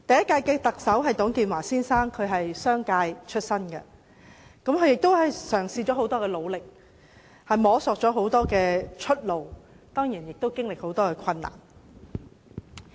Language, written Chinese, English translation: Cantonese, 第一屆特首是董建華先生。商界出身的他曾經很努力嘗試及摸索出路，其間經歷了很多困難。, The first - term Chief Executive Mr TUNG Chee - hwa who came from the business sector had tried hard to find a way forward and encountered a lot of difficulties . The second - term Chief Executive Mr Donald TSANG was a former civil servant